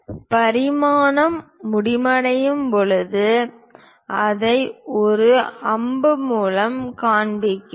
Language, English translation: Tamil, When dimension is ending, we show it by arrow